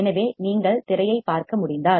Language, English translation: Tamil, So, if you can see the screen